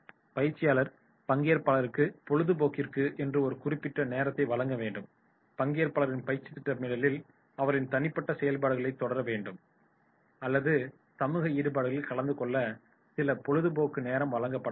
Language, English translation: Tamil, Trainer must provide some free time to the participants, in their scheduling there must be certain free time to the participants to pursue their personal activities or attend to their social engagements